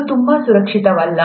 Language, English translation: Kannada, It's not very safe